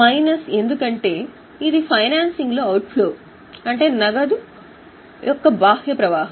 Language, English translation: Telugu, Minus because it is an outflow in financing, we will add it in O